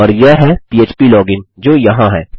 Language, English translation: Hindi, So that is phplogin which here